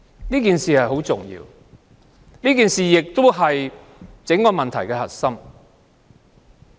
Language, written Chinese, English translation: Cantonese, 這點很重要，也是整個問題的核心。, This is a very important point and this is the core issue